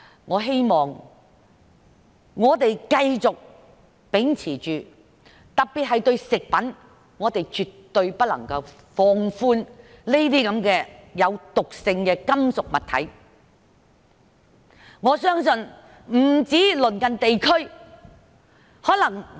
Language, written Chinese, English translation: Cantonese, 我希望我們繼續秉持這方向，特別是食品方面，我們絕對不能放寬對毒性金屬物質的限制。, I hope we will keep going in this direction particularly in respect of food . We absolutely must not relax the restrictions on toxic metals